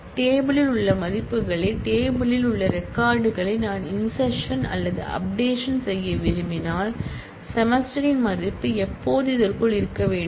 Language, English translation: Tamil, when I want to insert or update the values in the table, the records in the table; the value of semester has to be always within this